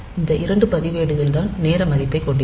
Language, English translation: Tamil, So, these are the two registers that will hold the time value